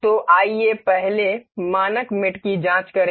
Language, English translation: Hindi, So, let us check the standard mates first